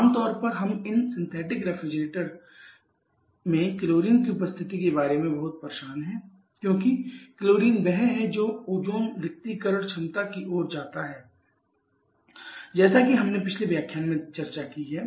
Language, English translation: Hindi, Generally we are too much bothered about the presence of chlorine in the synthetic refrigerants because chlorine is the one that leads to the odium depletion potential as we have discussed in a previous lecture